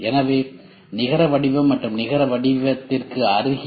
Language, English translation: Tamil, So, net shape and near net shape